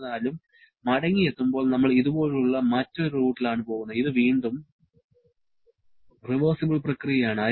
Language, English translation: Malayalam, However, during return we are taking a different route something like this a ‘c’ which is again a reversible process